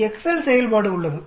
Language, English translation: Tamil, There is an Excel function